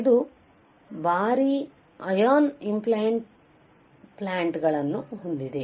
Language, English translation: Kannada, It has heavy ion implants right